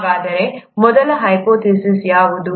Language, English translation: Kannada, So, what was the first hypothesis